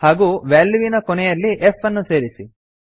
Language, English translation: Kannada, And add an f at the end of the value